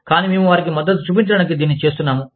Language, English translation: Telugu, But, we are just doing this, to show support to them